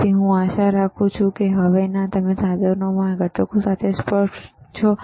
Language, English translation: Gujarati, So, I hope now you are clear with thisese components within this equipment